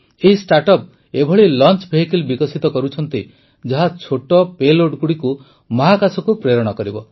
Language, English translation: Odia, These startups are developing launch vehicles that will take small payloads into space